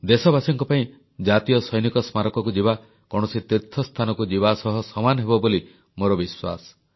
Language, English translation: Odia, I do believe that for our countrymen a visit to the National War Memorial will be akin to a pilgrimage to a holy place